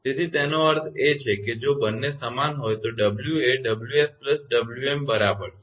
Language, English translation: Gujarati, So, that means, if both are equal so w is equal to w s plus wm